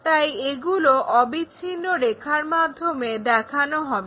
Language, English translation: Bengali, So, continuous lines we will show